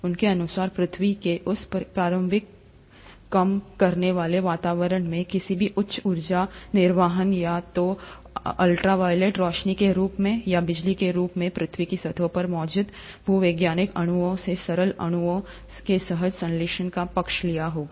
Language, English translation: Hindi, According to them, in that initial reducing environment of the earth, any high energy discharge, either in the form of ultra violet lights, or in the form of lightning would have favoured spontaneous synthesis of simple molecules from existing geological molecules on earth’s surface